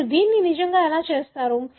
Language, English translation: Telugu, How do you really do this